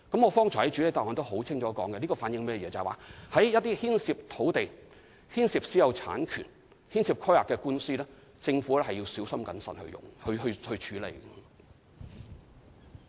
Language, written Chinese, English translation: Cantonese, 我剛才在主體答覆中已經清楚指出，這反映就一些牽涉土地、私有產權和規劃的官司，政府要小心謹慎處理。, As I have clearly explained in the main reply just now this reflects that the Government must be careful and prudent in handling cases involving land private ownership and planning